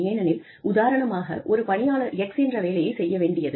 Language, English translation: Tamil, Because, we may say that, an employee has to do, X